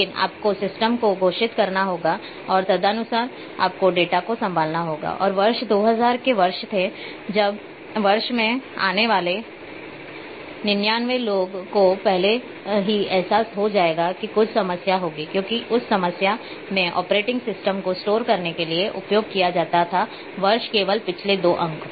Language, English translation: Hindi, But you have to declare to the system and accordingly you have to handle the data and there were when year 2000 year about to come in the year 99 people realize before that there will be some problem because in that time the operating system used to store for year only last two digits